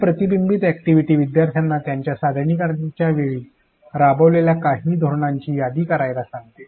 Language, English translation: Marathi, This reflection activity asks the learners to list down some of the strategies that they implemented during their presentation